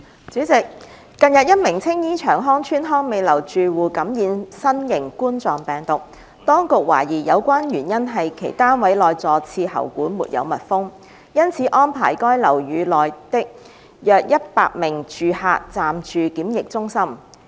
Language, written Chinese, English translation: Cantonese, 主席，近日一名青衣長康邨康美樓住客感染新型冠狀病毒，當局懷疑有關原因是其單位內坐廁喉管沒有密封，因此安排該樓宇內約一百名住客暫住檢疫中心。, President as the authorities suspected that the cause for a tenant in Hong Mei House of Cheung Hong Estate in Tsing Yi being infected with the novel coronavirus recently was that a pipe of the toilet in the tenants unit had not been sealed up arrangements were made for around a hundred tenants in the building to live in quarantine centres temporarily